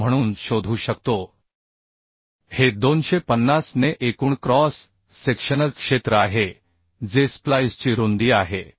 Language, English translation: Marathi, 9 this is the total cross sectional area by 250 is the width of the splice